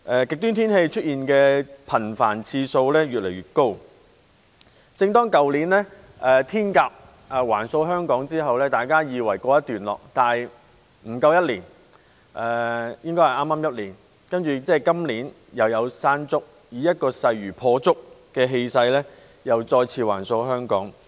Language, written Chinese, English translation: Cantonese, 極端天氣出現的次數越來越頻繁，去年"天鴿"橫掃香港之後，大家以為告一段落，但不足一年——應該是剛好一年——今年又出現"山竹"，以勢如破竹的氣勢再次橫掃香港。, Extreme weather is getting more and more common . After Hato swept through Hong Kong last year we thought it was over but in less than a year―exactly one year to be precise―ie . this year Mangkhut followed to rip through Hong Kong with overwhelming momentum